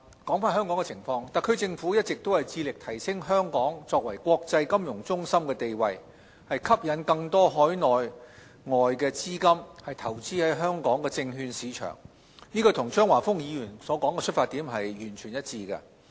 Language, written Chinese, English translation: Cantonese, 針對香港的情況，特區政府一直致力提升香港作為國際金融中心的地位，吸引更多海內外資金投資香港證券市場，與張華峰議員的出發點完全一致。, In relation to Hong Kongs situation the SAR Government has been committed to raising Hong Kongs status as an international financial hub and attracting more Mainland and overseas capital to invest into the local securities market . Our consideration fully tallies with what Mr Christopher CHEUNG has said